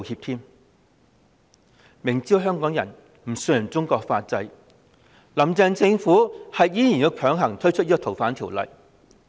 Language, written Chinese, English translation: Cantonese, "林鄭"政府明知香港人不信任中國法制，卻仍然強行推出《條例草案》。, Knowing perfectly well that Hong Kong people do not trust Chinas legal system the Carrie LAM Administration still introduced the Bill